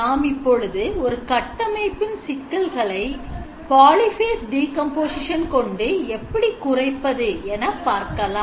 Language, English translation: Tamil, But before that one more time we will look at the notion of complexity reduction using the polyphase decomposition